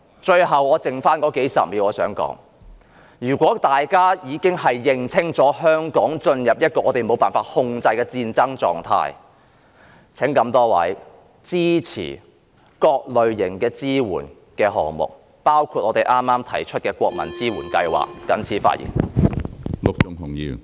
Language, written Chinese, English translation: Cantonese, 最後只餘數十秒，我想說，如果大家認定香港已進入一個無法控制的戰爭狀態，請各位支持各類型的支援項目，包括國民支援計劃。, I only have dozens of seconds left and I would like to say that if colleagues believe that Hong Kong has entered an uncontrollable state of war please lend a hand to all kinds of support projects including the Bless Hong Kong Scheme